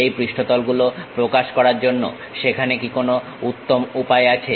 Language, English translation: Bengali, Are there any better way of representing this surfaces